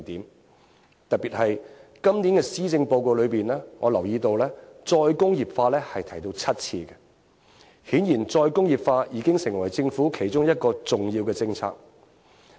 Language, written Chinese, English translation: Cantonese, 我特別留意到今年的施政報告一共有7次提到再工業化，顯然再工業化已經成為政府其中一項重要政策。, I especially notice that this years Policy Address mentions re - industrialization for seven times indicating that re - industrialization has become one of the Governments major policies